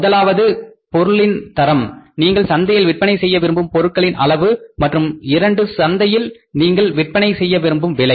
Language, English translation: Tamil, First one is the say quantity number of units we want to sell in the market and second is the price at which we want to sell in the market